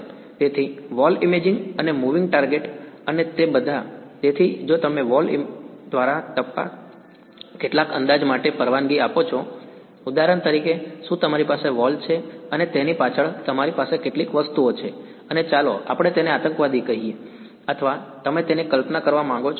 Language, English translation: Gujarati, So, through the wall imaging and moving targets and all of that; so, if you allow for some approximation so through the wall detection for example: is that you have a wall and you have some objects behind it and let us say a terrorist or something you want to visualize it